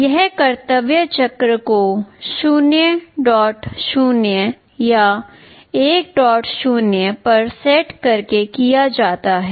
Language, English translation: Hindi, This is done by setting the duty cycle to 0